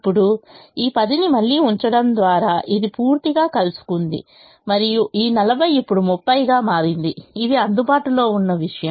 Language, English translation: Telugu, now, by putting this ten again, this is entirely met and this forty has now become thirty, which is the thing that is available now